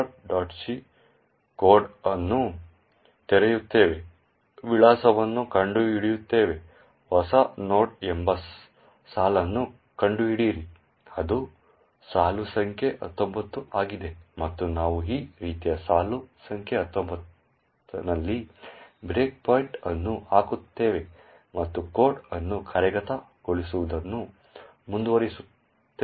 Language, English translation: Kannada, c code, find out the address, find out the line new node is call that is line number 19 and we put a breakpoint at line number nineteen like this and run the code using R